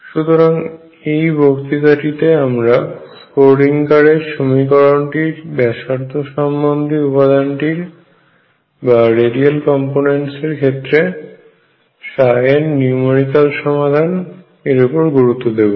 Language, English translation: Bengali, So, this lecture is going to be devour it to numerical solution of the Schrödinger equation for the radial component of psi